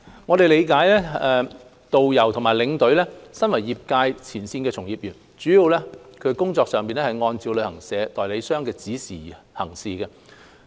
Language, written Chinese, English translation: Cantonese, 我們理解導遊和領隊身為業界前線從業員，工作上主要按照旅行代理商的指示行事。, We recognize that tourist guides or tour escorts as frontline trade practitioners mainly follow the instructions of travel agents whilst working